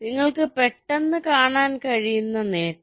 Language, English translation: Malayalam, the advantage you can immediately see